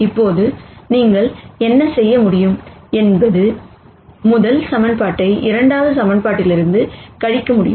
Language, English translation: Tamil, Now what you could do is you could subtract the first equation from the second equation